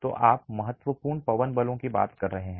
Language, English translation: Hindi, So, you are talking of significant wind forces